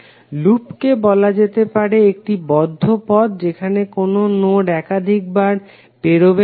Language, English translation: Bengali, Loop can be considered as a close path with no node passed more than once